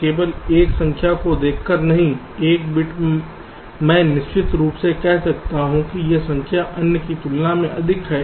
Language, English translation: Hindi, no, just by looking at one number, one bit, i can definitely say that this number is greater than the other